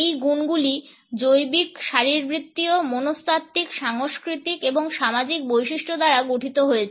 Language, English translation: Bengali, These qualities are shaped by biological, physiological, psychological, cultural, and social features